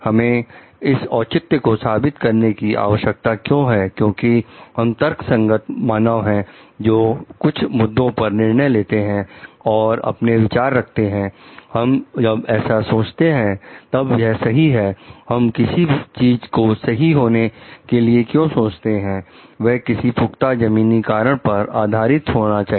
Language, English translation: Hindi, We need to justify because we are rational human beings who are making a decision about certain issue and who are like putting up comments like, we are thinking this to be right then, why we are thinking something to be right, must be based on well grounded reasons